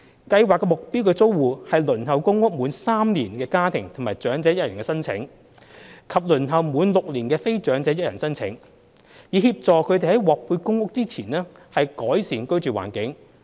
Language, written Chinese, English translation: Cantonese, 計劃的目標租戶是輪候公屋滿3年的家庭及長者1人申請者，以及輪候滿6年的非長者1人申請者，以協助他們在獲配公屋前改善居住環境。, The targeted tenants of the Scheme are family and elderly one - person applicants waitlisted for PRH for three years or more as well as non - elderly one - person applicants waitlisted for six years or more . The Scheme aims to improve their living environment before PRH allocation